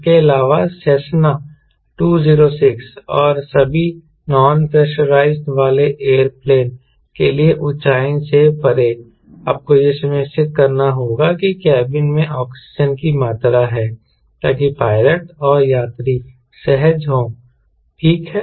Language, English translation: Hindi, apart from that, beyond and altitude for a non pressurized air planes like cessna, two, zero, six, an all you need to ensure that there is a amount of oxygen in the cabin so that pilot and passengers are comfortable